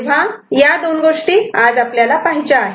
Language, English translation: Marathi, So, these are the two things that we shall take up today